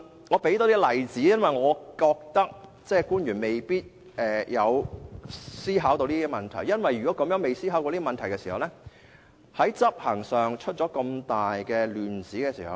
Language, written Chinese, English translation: Cantonese, 我多提供一些例子，因為我認為官員未必曾思考這些問題，要是他們未有思考過這些問題，便可能在執行上出亂子。, I must talk about more actual scenarios because I think government officials may not have given any thought to them . And if they really have not considered such scenarios things may go wrong in the process of law enforcement